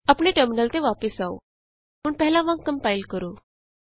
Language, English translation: Punjabi, Come back to our terminal Compile as before